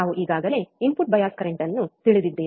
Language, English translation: Kannada, Now we already know input bias current